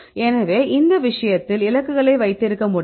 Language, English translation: Tamil, So, in this case you can have the targets